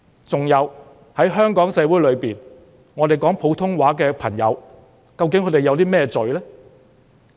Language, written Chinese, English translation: Cantonese, 此外，在香港社會裏，說普通話的朋友究竟犯了甚麼罪呢？, Besides what crimes have Mandarin - speaking friends in Hong Kong society committed?